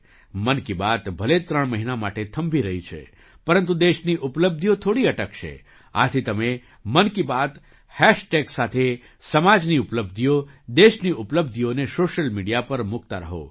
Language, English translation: Gujarati, Even though 'Mann Ki Baat' is undergoing a break for three months, the achievements of the country will not stop even for a while, therefore, keep posting the achievements of the society and the country on social media with the hashtag 'Mann Ki Baat'